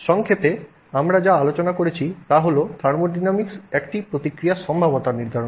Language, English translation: Bengali, Okay, so to summarize what we just discussed thermodynamics determines the feasibility of a reaction